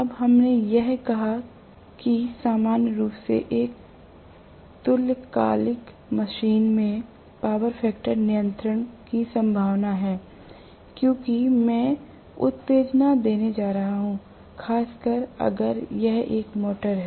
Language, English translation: Hindi, Now, we also said that there is a possibility of power factor control in general, in a synchronous machine because I am going to give excitation, especially if it is a motor